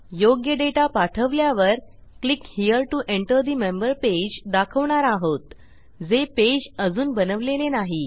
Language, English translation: Marathi, As long as we send the right data were going to say Click here to enter the member page which we havent created yet